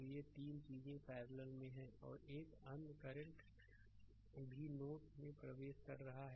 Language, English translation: Hindi, So, these 3 things are in parallel and another current i 2 is also entering into the node